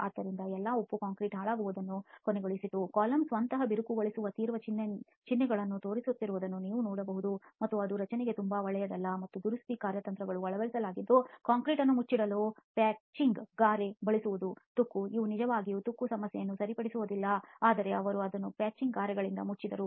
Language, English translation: Kannada, So all the salt ended up deteriorating the concrete you can see the column itself is showing severe signs of cracking and that is not very good for a structure and the repair strategy that was adopted was to simply use a patching mortar to cover up the concrete corrosion, they did not really repair the corrosion problem but they simply covered it up with the patching mortar